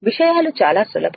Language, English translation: Telugu, Things are very simple